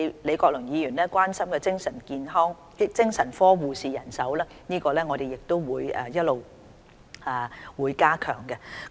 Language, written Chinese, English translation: Cantonese, 李國麟議員關心精神科的護士人手問題，我們亦會一直加強。, Prof Joseph LEE are concerned about manpower issue regarding psychiatric nurses and we will continue to make enhancement in this regard